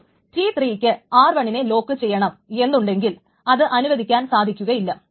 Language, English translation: Malayalam, But suppose T3 wants to lock R1, should it be allowed